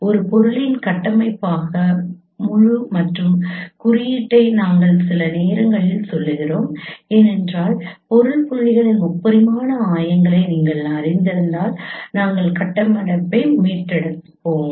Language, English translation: Tamil, We sometimes refer the whole ensemble as a structure of an object because if you know the three dimensional coordinates of the object points we consider we have recovered the structure